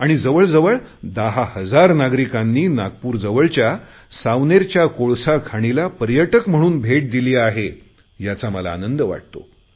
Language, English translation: Marathi, This is only the beginning, but already nearly 10,000 people have visited this Ecofriendly Minetourism site at Savaner near Nagpur